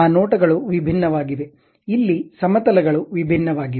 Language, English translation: Kannada, Those views are different; here planes are different